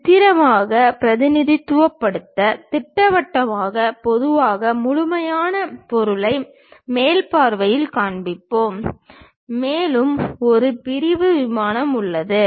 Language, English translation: Tamil, To represent in a pictorial way, the schematic usually we show the complete object in the top view and there is a section plane